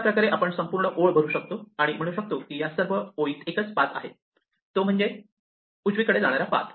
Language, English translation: Marathi, In this way I can fill up the entire row and say that all along this row there is only one path namely the path that starts going right and keeps going right